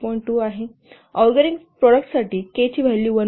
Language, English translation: Marathi, 2 the for organic product the value of k is 1